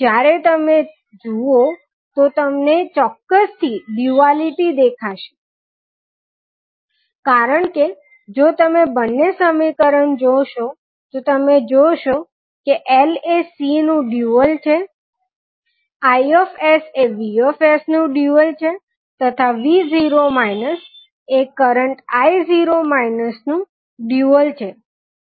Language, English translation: Gujarati, So when you observe then you can confirm the duality because if you see both of the equations you will see that L is dual of C, Is is dual of Vs and V at time tis equals to 0 is dual of current I at time T is equals to 0